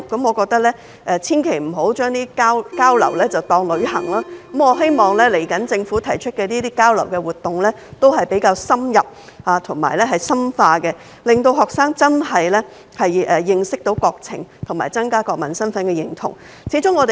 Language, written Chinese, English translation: Cantonese, 我認為千萬不要將交流當成旅行，希望日後的交流活動是比較深入和深化的，讓學生能夠認識國情和增加國民身份的認同。, In my opinion exchange activities should never be treated as tours . I hope that the exchange activities to be organized in the future will cover more specific and in - depth information so that students can have a better understanding of the countrys situation and a stronger sense of national identity